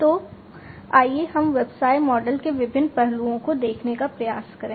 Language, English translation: Hindi, So, let us try to look at the different aspects of the business model